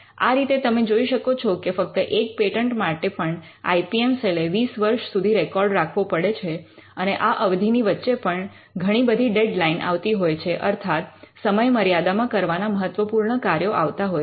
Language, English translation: Gujarati, So, you can see that, even if it is one patent the IPM cell needs to keep track of it for 20 years and there are different deadlines that falls in between